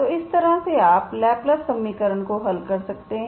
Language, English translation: Hindi, So like this you can solve a Laplace equation